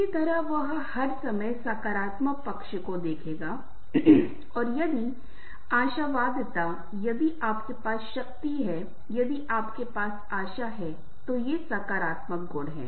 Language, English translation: Hindi, similarly, you will all the time look to the positive side and if the optimism, if you have the bigger, if you have the hope these are the some of the positive attributes